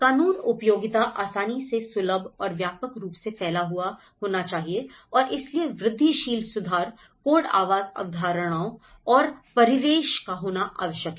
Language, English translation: Hindi, Access legislation should be easily accessible and widely disseminated and so incremental improvement, the code dwelling concepts and surroundings can happen